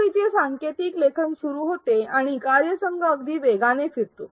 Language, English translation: Marathi, The coding of the content begins and the team moves along very swiftly